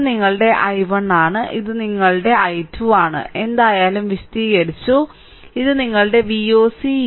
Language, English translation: Malayalam, So this is your i 1 and this is your i 2, whatever I have explained and this is your V oc is equal to V Thevenin right